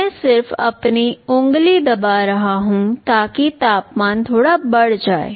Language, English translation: Hindi, I am just pressing with my finger, so that the temperature increases that little bit